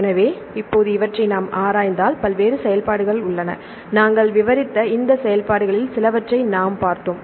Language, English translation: Tamil, So, now if we look into these functions right there are various functions, we described can you remember some of these functions still we discussed till now